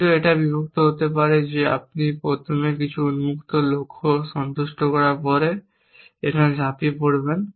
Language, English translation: Bengali, But it split possible that you end of first satisfying some open goals then jump here